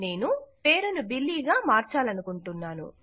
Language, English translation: Telugu, I want to change the name to Billy